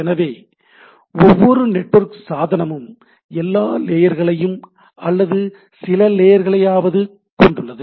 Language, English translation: Tamil, So, every network device will have all or some of this layers right